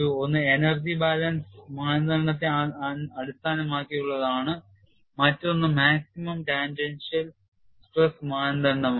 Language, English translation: Malayalam, Then we looked at two theories; one is based on energy balance criterion, another is on maximum tangential stress criteria